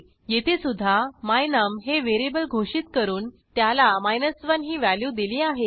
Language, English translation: Marathi, Here also, I have declare a local variable my num and assign the value 1 to it